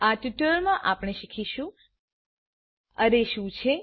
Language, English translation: Gujarati, In this tutorial we will learn, What is an array